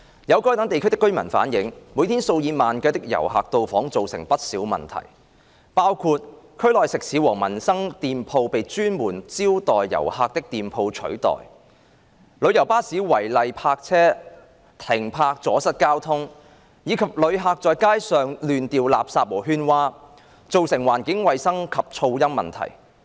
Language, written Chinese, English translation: Cantonese, 有該等地區的居民反映，每天數以萬計的遊客到訪造成不少問題，包括區內食肆和民生店鋪被專門招待遊客的店鋪取代、旅遊巴士違例停泊阻塞交通，以及遊客在街上亂掉垃圾和喧嘩，造成環境衞生及噪音問題。, Some residents in those districts have relayed that visits by tens of thousands of tourists daily have given rise to a number of problems which include eateries and shops catering for peoples daily needs in the districts being replaced by shops dedicated to receiving tourists traffic obstruction arising from illegal coach parking as well as environmental hygiene and noise problems caused by tourists littering and yelling on the streets